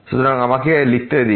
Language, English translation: Bengali, So, let me just write it